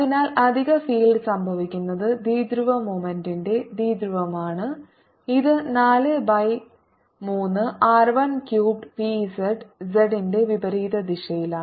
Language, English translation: Malayalam, so additional field is going to be due to dipole of dipole, of dipole moment p, which is four pi by three r, one cubed p, z in the opposite direction of z